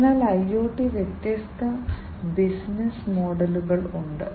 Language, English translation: Malayalam, So, there are different business models for IoT